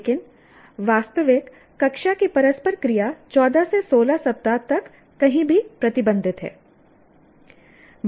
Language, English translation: Hindi, But actual classroom interaction is restricted to anywhere from 14 to 16 weeks